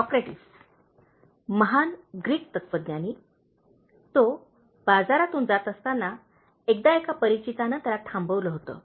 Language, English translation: Marathi, Socrates, the great Greek philosopher, was once stopped by an acquaintance as he passed through the market